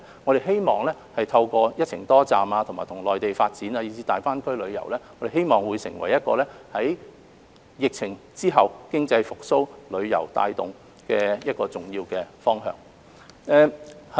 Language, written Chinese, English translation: Cantonese, 我們希望透過"一程多站"，與內地發展，以至大灣區旅遊，希望成為疫情後帶動經濟復蘇的一個重要方向。, We hope that the promotion of multi - destination tourism and the development of tourism activities in cooperation with the Mainland and GBA will become a strong momentum driving the post - pandemic economic recovery